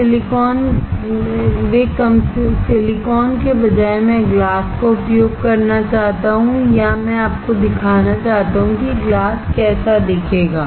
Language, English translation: Hindi, Instead of silicon, I want to use glass or I want to show you how glass will look like